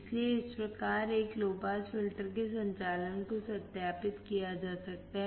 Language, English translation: Hindi, So, thus the operation of a low pass filter can be verified